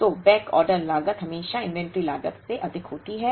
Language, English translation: Hindi, So, backorder cost is always higher than the inventory cost